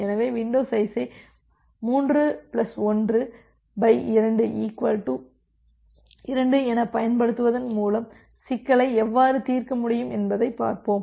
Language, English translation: Tamil, So, let us see that by utilizing window size as 3 plus 1 by 2 equal to 2 how can we solve the problem